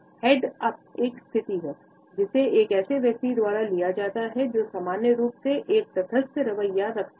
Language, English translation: Hindi, Head up is a position, which is taken up by a person who normally, has a neutral attitude about what is being said